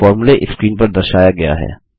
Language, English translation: Hindi, And the formula is as shown on the screen